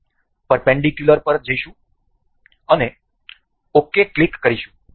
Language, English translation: Gujarati, We will go to perpendicular and click ok